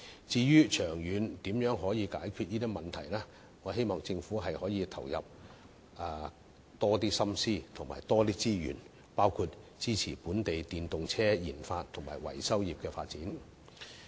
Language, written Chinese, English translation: Cantonese, 至於長遠如何解決問題，我希望政府可以投入更多心思和資源，包括支持本地電動車研發及維修業的發展。, I hope the Government can spend more effort and resources on how to solve this problem in the long run including supporting the RD of local EVs and developing the maintenance and repair industry